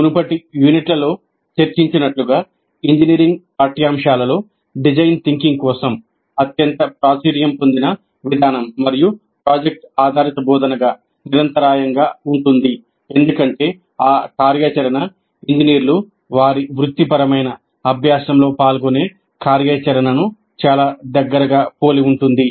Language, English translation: Telugu, Now, as discussed in these earlier units, the most popular approach for design thinking in engineering curricula was and continues to be project based instruction because that activity most closely resembles the activity that engineers engage in during their professional practice